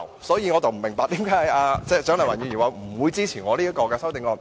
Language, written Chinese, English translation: Cantonese, 因此，我不明白為何蔣麗芸議員表示不會支持我的修正案。, Hence I do not see why Dr CHIANG Lai - wan should indicate that she will not support my amendment